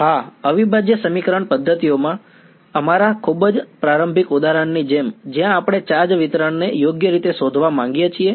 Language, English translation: Gujarati, Yes, like our very initial example in the integral equation methods where we wanted to find out the charge distribution right